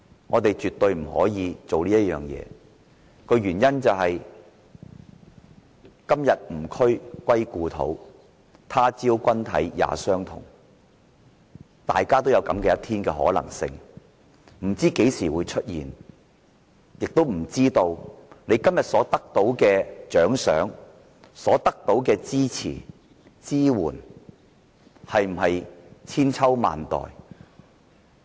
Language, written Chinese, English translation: Cantonese, 我們絕對不可以做這種事，原因是"今夕吾軀歸故土，他朝君體也相同"，大家也可能有這樣的一天，不知何時會出現，亦不知道今天所得到的獎賞、支持和支援是否千秋萬代。, As the saying goes My body turns to dust today and so will yours in the future . Everyone may run into this situation some days . We just do not know when nor do we know whether the prize support or assistance we get today can be everlasting